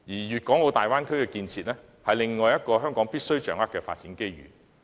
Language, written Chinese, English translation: Cantonese, 粵港澳大灣區建設是另一個香港必須掌握的發展機遇。, The Guangdong - Hong Kong - Macao Bay Area Bay Area development is another opportunity that Hong Kong must seize